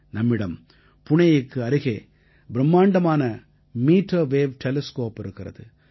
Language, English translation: Tamil, We have a giant meterwave telescope near Pune